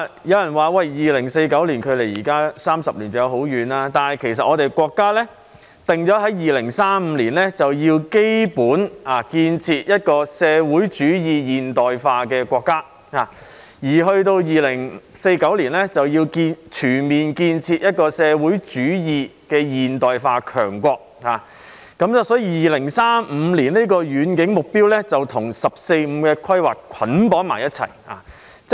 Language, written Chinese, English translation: Cantonese, 有人說 ，2049 年距離現在還有30年，尚有一段很長時間，但其實國家已定在2035年，就要基本實現建設一個社會主義現代化國家，而到了2049年，就要全面建成一個社會主義現代化強國，所以2035年的遠景目標與"十四五"規劃捆綁在一起。, Some people have argued that there is still a long time to go before 2049 which is 30 years away . However in fact our country has already set the objectives of basically realizing the building of a modern socialist country by 2035 and building a great modern socialist country in all respects by 2049